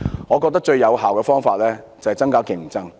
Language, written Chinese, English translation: Cantonese, 我覺得最有效的方法，就是增加競爭。, In my view the most effective way is to enhance competition